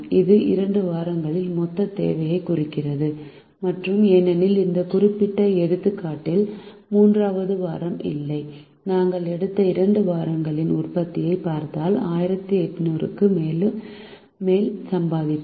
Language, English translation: Tamil, this represents the total demand on the two weeks and because there is no third week in this particular example, we will not end up making more than one thousand eight hundred if we look at the production of the two weeks taken together